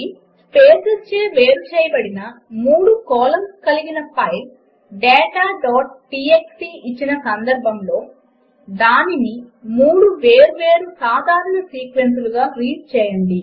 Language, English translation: Telugu, Given a file data.txt with three columns of data separated by spaces, read it into 3 separate simple sequences